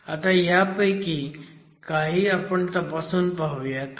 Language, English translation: Marathi, So, we will examine some of these